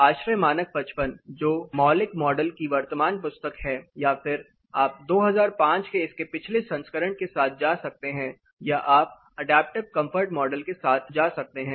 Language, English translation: Hindi, ASHRAE standard 55 which is the current book of fundamentals model or you can go with the previous version of it up to 2005 or you can go with adaptive comfort model